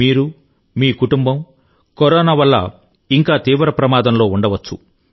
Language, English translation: Telugu, You, your family, may still face grave danger from Corona